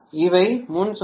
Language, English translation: Tamil, Before these are the loads